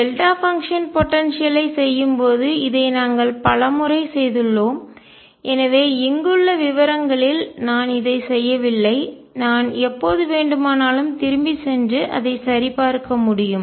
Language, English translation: Tamil, This we have done many times while doing the delta function potential, so I am not doing it in the details here I can always go back and check